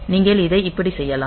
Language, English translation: Tamil, So, you can do it like this